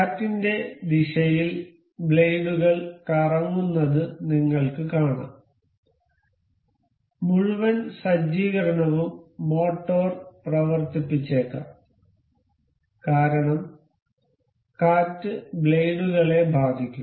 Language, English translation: Malayalam, You can see the blades can rotate along the wind direction, the whole the setup and also the motor motor may run as the wind will strike the blades